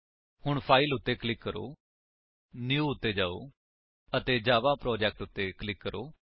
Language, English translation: Punjabi, So click on File, go to New and click on Java Project